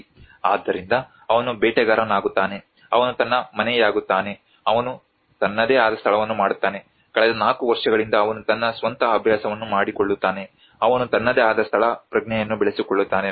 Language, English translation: Kannada, So he becomes a hunter, he becomes his home, he makes his own place, he makes his own habits for the past 4 years he develops his own sense of place